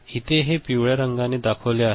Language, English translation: Marathi, So, this is the marked in this yellow right